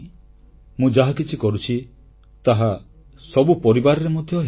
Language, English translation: Odia, What I am doing must be happening in families as well